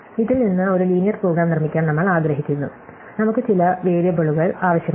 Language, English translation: Malayalam, So, we want to make a linear program out of this, so we need some variables